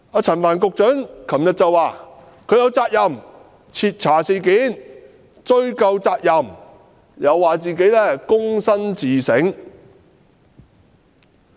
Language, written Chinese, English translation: Cantonese, 陳帆局長昨天表示，他有責任徹查事件和追究責任，又表示自己躬身自省。, Yesterday Secretary Frank CHAN said he was duty - bound to thoroughly investigate the matter and affix the responsibility . He added that he would engage in humble introspection